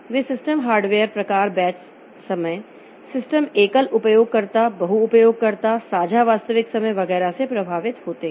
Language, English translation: Hindi, They are affected by the choice of hardware type of system batch, time sharing, single user, multi user, distributed real time, etc